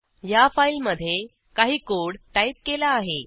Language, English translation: Marathi, I have typed some code in this file